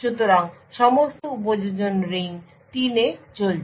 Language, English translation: Bengali, So, all the applications are running in ring 3